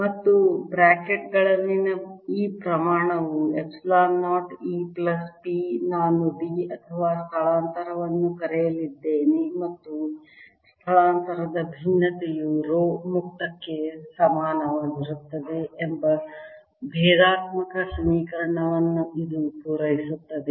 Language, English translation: Kannada, and this quantity, in brackets, epsilon zero, e plus p, i am going to call d or displacement, and this satisfies the differential equation that divergence of displacement is equal to rho free, if you like